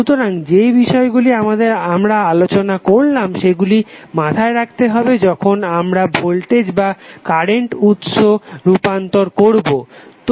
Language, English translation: Bengali, So these things which we have discuss we should keep in mind while we do the voltage or current source transformation